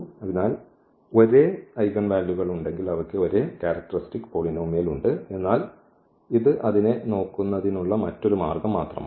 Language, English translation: Malayalam, So, if we have the same eigenvalues meaning they have the same characteristic polynomial, but this is just another way of looking at it